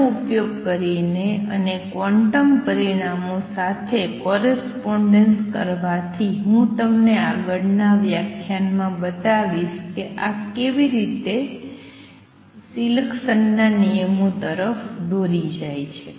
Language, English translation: Gujarati, Using these and making correspondence with the quantum results I will show you in next lecture how this leads to selection rules